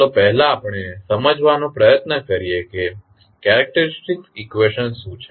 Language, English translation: Gujarati, First let us try to understand what is characteristic equations